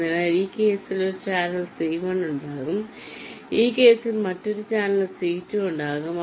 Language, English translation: Malayalam, so there will be one channel, c one in this case